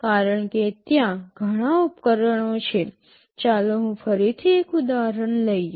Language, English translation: Gujarati, Because there are many devices, let me take an example again